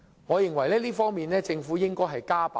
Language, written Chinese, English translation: Cantonese, 在這方面，我認為政府應加把勁。, In my view the Government should step up its efforts in this regard